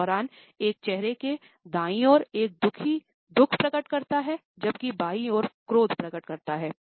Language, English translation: Hindi, During the right side of a face reveals a cheesy grief, while during the left side reveals a angry frown